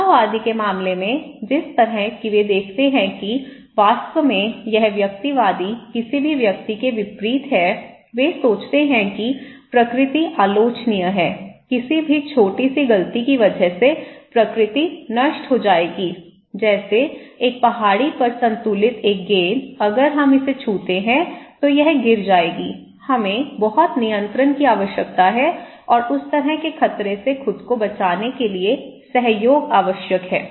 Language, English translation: Hindi, In case of egalitarian which is kind of they see that actually the it’s very opposite of the individualistic any, they think that that nature is very vulnerable, any little mistake nature will come crashing down okay, like a ball balanced on a hill, if we just touch it, it will fall so, we need lot of control, lot of control okay and cooperation is necessary to protect yourself from that kind of threat okay